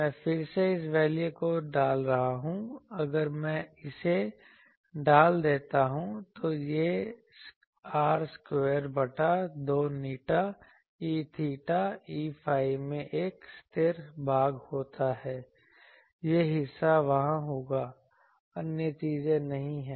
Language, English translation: Hindi, I am again putting in that this value if I put it so, it becomes r square by 2 eta into E theta E phi have a constant part that part will be there; other things are not there